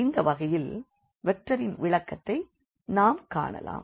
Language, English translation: Tamil, So, let us look for the vector interpretation for this case as well